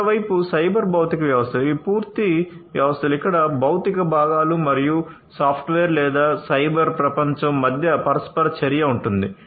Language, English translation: Telugu, On the other hand, the cyber physical systems these are complete systems where there is an interaction between the physical components and the software or, the cyber world